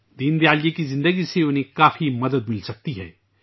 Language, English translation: Urdu, Deen Dayal ji's life can teach them a lot